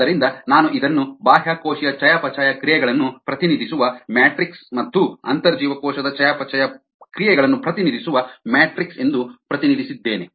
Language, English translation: Kannada, so i represented this as a matrix that represent extracellular metabolite and a matrix that represent intracellular metabolite